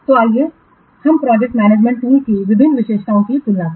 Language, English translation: Hindi, I will give some examples of other project management tools